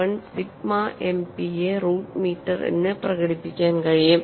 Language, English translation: Malayalam, 1781 sigma MPa root meter